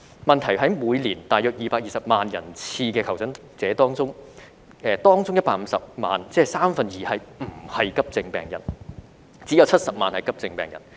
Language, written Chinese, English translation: Cantonese, 問題在於每年大約220萬人次的求診者中，當中150萬人次，即是三分之二，不是急症病人，只有70萬人次是急症病人。, The problem is that among the some 2.2 million attendances of AE departments each year 1.5 million attendances or two third are not urgent cases and only 700 000 attendances are urgent cases